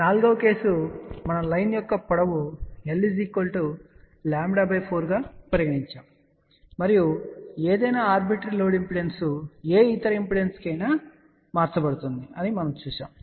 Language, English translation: Telugu, The fourth case we had considered where the length of the line was lambda by 4 and we had seen that any arbitrary load impedance can be transformed to any other impedance